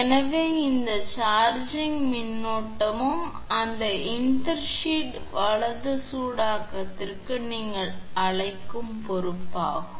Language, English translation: Tamil, So, this charging current also your will be responsible for your what you call heating of that intersheath right overheating